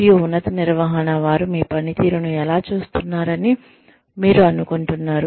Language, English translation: Telugu, And, how do you think, higher management sees your performance